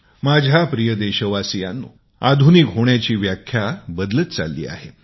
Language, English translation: Marathi, My dear countrymen, definitions of being modern are perpetually changing